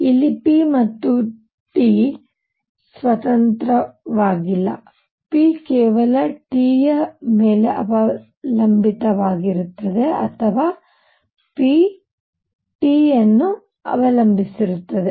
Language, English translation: Kannada, Here p and T are not independent, p depends on T alone or p depends on T